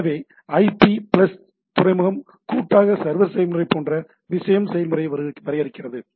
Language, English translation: Tamil, So, IP plus port combinely defines the process of the thing as the server process